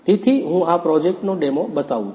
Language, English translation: Gujarati, So, here I am going to demo of this project